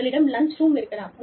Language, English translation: Tamil, You could have a lounge